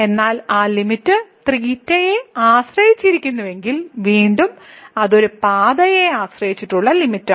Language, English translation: Malayalam, But if that limit is depending on theta, then again it is a path dependent limit